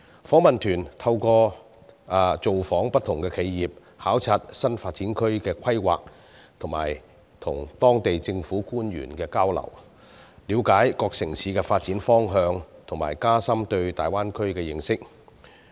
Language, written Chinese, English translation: Cantonese, 訪問團透過造訪不同企業、考察新發展區的規劃及與當地政府官員交流，了解各城市的發展方向和加深對大灣區的認識。, In order to gain an understanding of the direction of development of these cities and deepen our knowledge about the Greater Bay Area the Delegation has paid visits to different enterprises studied the planning of new development areas and conducted exchanges with local government officials